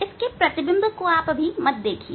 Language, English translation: Hindi, Do not see the image of this one